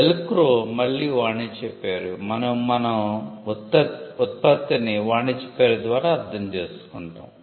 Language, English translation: Telugu, Velcro again a trade name and we understand the product by the trade name itself